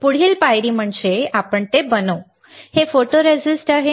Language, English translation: Marathi, Next step is we will make it, this is photoresist